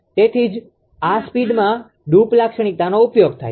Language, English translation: Gujarati, So, that is why this speed droop characteristic is used